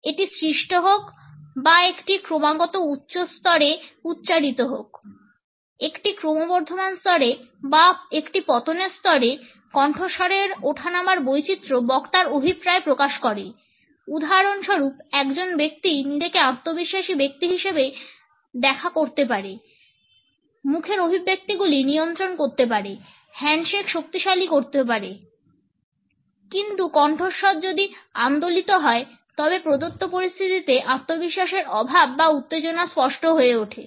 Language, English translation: Bengali, Whether it is produced or a spoken at a continuous high level, a rising level or at a falling level, pitch variation expresses the intention of the speaker, for example, a person may come across otherwise as a confident person, the facial expressions maybe control the handshake may be strong, but if the voice has streamers then the lack of confidence or tension in the given situation becomes apparent